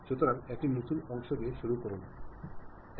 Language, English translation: Bengali, So, begin with new part OK